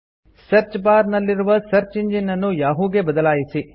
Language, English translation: Kannada, Change the search engine in the search bar to Yahoo